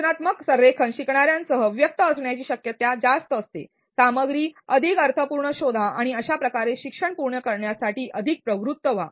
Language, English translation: Marathi, With constructive alignment learners are more likely to feel engaged find the content more meaningful and thus be more motivated to complete the learning